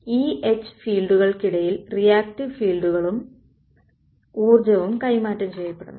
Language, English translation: Malayalam, So, reactive fields and energy is transferred between the E and H fields